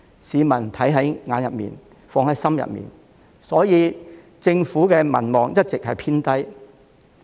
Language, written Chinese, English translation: Cantonese, 市民看在眼裏，放在心裏，所以政府的民望一直低迷。, The public see it with their eyes and keep it in their hearts . This is why the Governments popularity has always been in the doldrums